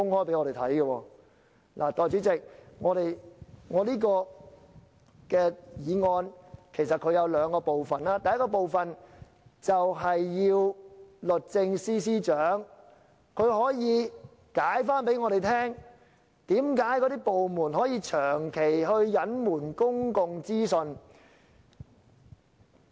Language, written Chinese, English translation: Cantonese, 代理主席，我這項議案其實有兩個部分，第一個部分要求律政司司長向我們解釋，為甚麼政府部門可以長期隱瞞公共資訊。, Deputy President my motion is made up of two parts . First I request the Secretary for Justice to explain to us the reason why government departments can persistently withhold public information